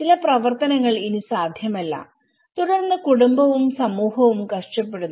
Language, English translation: Malayalam, Certain activities are no longer possible and then the family and the community suffers